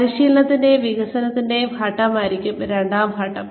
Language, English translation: Malayalam, The second phase would be, training and development phase